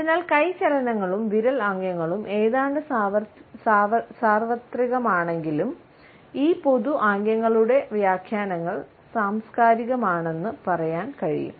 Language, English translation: Malayalam, So, one can say that even though the hand movements and finger gestures are almost universal the interpretations of these common gestures are cultural